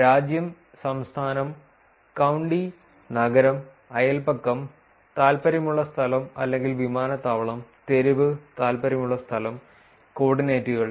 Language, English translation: Malayalam, Country, state, county, city, neighborhood, area of interest or airport, street, point of interest and coordinates